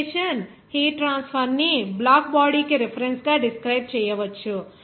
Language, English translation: Telugu, Radiation heat transfer can be described by reference to the black body